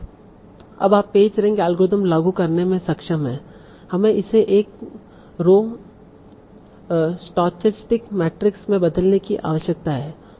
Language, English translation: Hindi, So now to be able to apply a PACE rank algorithm, you need to convert that into a row stoastic matrix